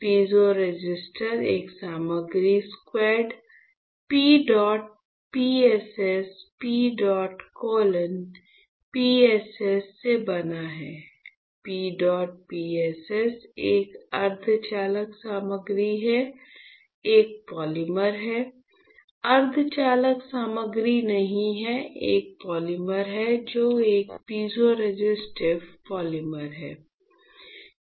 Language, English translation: Hindi, Piezoresistor is made out of a material quad P dot PSS PEDOT colon PSS; P dot PSS is a semiconducting material, is a polymer, not semiconducting material is a polymer which is a piezoresistive polymer